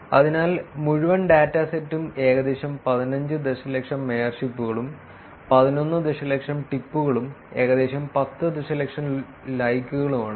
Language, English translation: Malayalam, So, the entire dataset is about 15 million mayorships, close to 11 million tips, and close to ten million likes